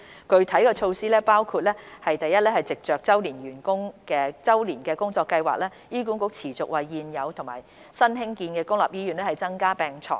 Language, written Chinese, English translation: Cantonese, 具體措施包括： 1藉着周年工作計劃，醫管局持續為現有和新建的公立醫院增加病床。, Specific measures include 1 continuing to provide additional beds for existing and newly built public hospitals through HAs Annual Plan